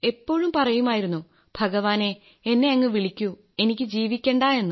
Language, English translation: Malayalam, I used to say that oh God call me, I don't want to live